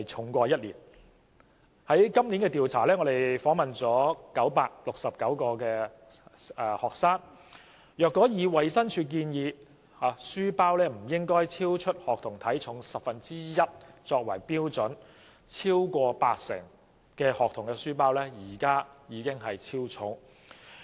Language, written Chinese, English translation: Cantonese, 民建聯在今年的調查中訪問了969名學生，若以衞生署建議書包不應超出學童體重十分之一為標準，超過八成學童的書包已經超重。, In the survey conducted this year 969 students were interviewed by DAB . If the Department of Healths recommendation that the weight of a school bag should not exceed one tenth of the weight of a student is adopted as the standard then the school bags of more than 80 % of the students interviewed were already overweight